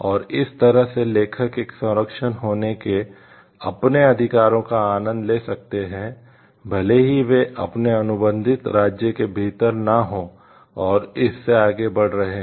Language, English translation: Hindi, And that is how they the authors can enjoy their rights of like having a protection, even if they are not within their contracting state and extending beyond it also